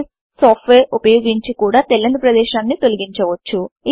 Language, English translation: Telugu, The software briss can also be used to crop the white space